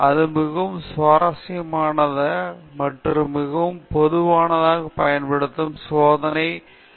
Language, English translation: Tamil, This is a very interesting and very commonly used design for experiments